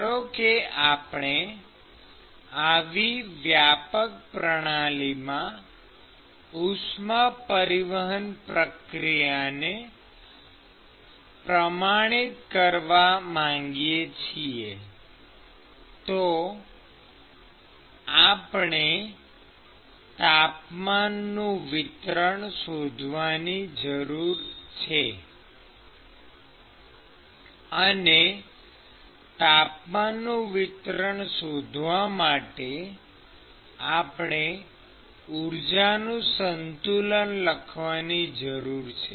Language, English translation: Gujarati, So, if we want to quantify heat transport process in such a generalized system, we need to write a we need to find the temperature distribution